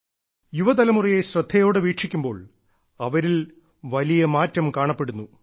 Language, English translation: Malayalam, And when we cast a keen glance at the young generation, we notice a sweeping change there